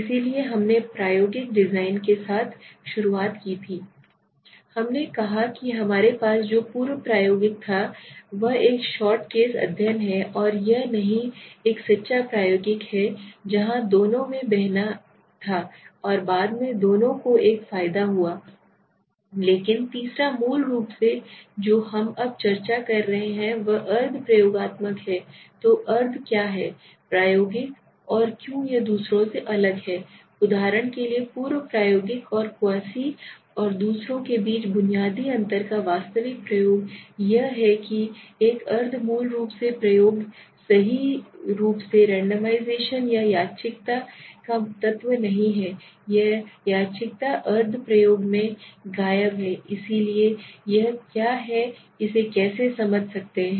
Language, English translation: Hindi, We said in which we had there was pre experimental this is the one shot case study not and this is a true experimental where we had pretest and posttest both this has got an advantage but the third is basically what we are now discussing is the quasi experimental so what is the quasi experimental and why it is different from the others right for example the pre experimental and the true experimental the basic difference between Quasi and the others is that a quasi experiment right basically does not have the element of randomization or randomness right so that randomness is missing in the quasi experiment so why does it what how can we explain this let us say there are situations where we do not have the ability to randomly place somebody because in fact the biggest advantage of experimentation is to have randomization right that means what you can say as I was showing in the last session